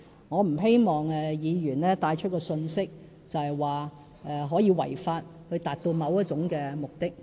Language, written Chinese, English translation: Cantonese, 我不希望議員帶出一項信息，就是可以違法來達到某一種目的。, I do not want Members to impart a message that people can break the law in pursuit of their aims